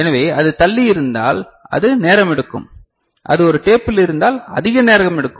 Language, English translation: Tamil, So, that will take if it is further then it will take more time like if it is in a tape